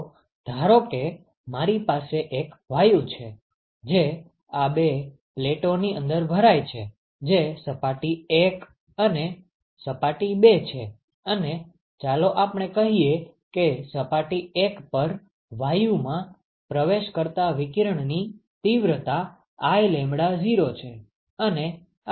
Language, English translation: Gujarati, So, suppose I take; so I have a gas, which is filled inside these two plates: surface 1, surface 2 and let us say the intensity of radiation that enters the gas at surface 1 is I lambda0 ok